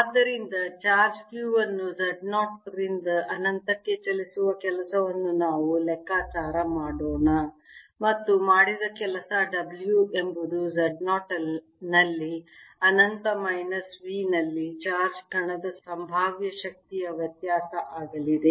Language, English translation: Kannada, so let us calculate the work done in moving, work done in moving charge q from z zero to infinity, and that work done, w is going to be the potential energy difference of the charge particle at infinity, minus v at z zero